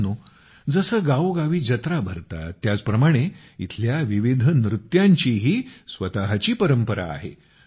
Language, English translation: Marathi, Friends, just like the fairs held in every village, various dances here also possess their own heritage